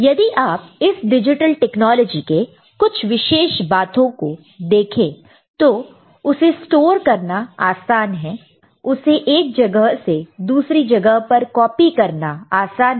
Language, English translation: Hindi, And some of the features of this digital technology, if you look at it, they are easy to store, they are easy to copy from one place to another